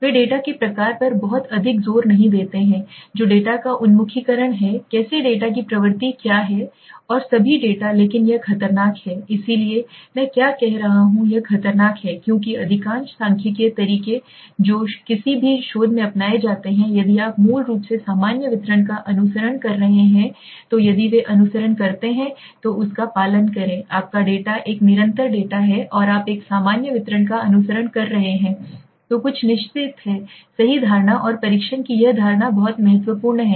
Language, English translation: Hindi, They do not put too much of emphasis on the kind of the data what is the orientation of the data how the data what is the trend of the data and all but this is dangerous right so why I am saying this it is dangerous because most of the statistical methods that are adopted in any research they follow if they follow if you are following a basically normal distribution for example right if your data is a continuous data and you are following a normal distribution then there are certain assumptions right and this assumption of the test are very important